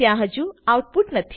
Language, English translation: Gujarati, There is no output yet